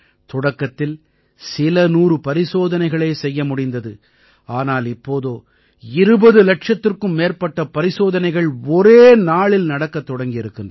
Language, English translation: Tamil, Initially, only a few hundred tests could be conducted in a day, now more than 20 lakh tests are being carried out in a single day